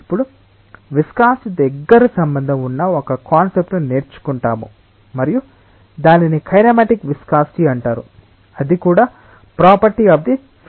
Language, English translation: Telugu, Now, we will learn a concept which is closely related to viscosity and that is known as kinematic viscosity; that is also a property of the fluid